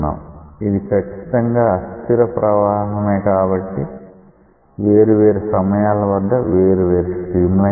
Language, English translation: Telugu, It is clearly an unsteady flow so, at different times you will get different streamlines